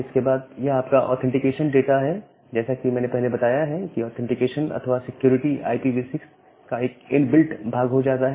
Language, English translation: Hindi, Then your authentication data as I have mentioned that authentication or the security became a inbuilt part of the IPv6